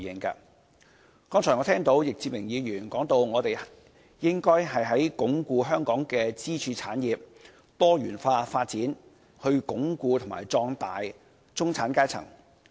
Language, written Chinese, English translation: Cantonese, 剛才我聽到易志明議員提到，我們應該鞏固香港的支柱產業多元化發展，以鞏固和壯大中產階層。, Just now I heard Mr Frankie YICK saying that we should reinforce the diversified development of the pillar industries in Hong Kong so as to fortify and strengthen the middle class